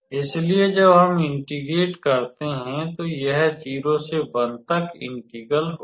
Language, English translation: Hindi, So, when we integrate; now when we integrate, then it will be integral 0 to 1